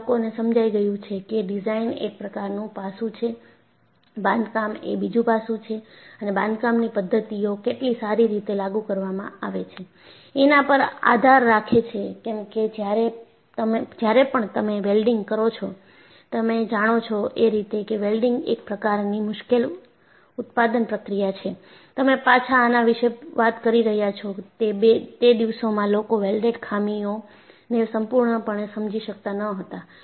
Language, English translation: Gujarati, You know, people have realized, that design is one aspect, the construction is another aspect and how well the construction practices are enforced; because, when you are doing welding, you know welding is a very tricky manufacturing process; and you are talking about way back; and in those days people have not fully understood the welded defects